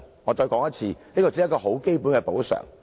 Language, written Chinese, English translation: Cantonese, 我再說一次，這只是一項很基本的補償。, Let me repeat that is only a basic compensation